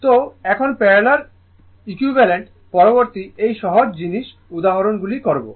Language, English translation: Bengali, So, now, parallel equivalent, next is this is the simple thing right this is the simple example will do